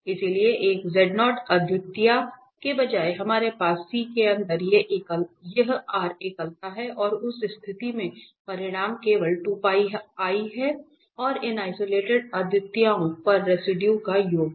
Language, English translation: Hindi, So, instead of one singularity z naught we have these r singularities inside C and in that case the result is just the 2 Pi i and the sum of residues at these isolated singularities